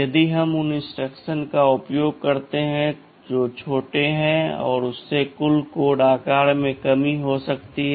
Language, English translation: Hindi, ISo, if we use instructions which that are smaller, this can further lead to a shortening of the total code size